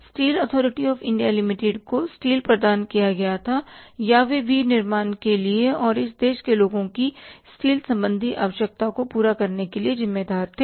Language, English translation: Hindi, Steel Authority of India limited was providing the steel or was responsible for manufacturing and say providing or fulfilling the steel related requirement of the people of this country